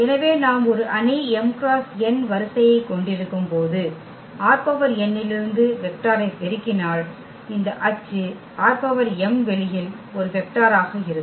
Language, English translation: Tamil, So, when we have a matrix of m cross n order and if we multiply vector from R n, so, this Ax will be a vector in this R m space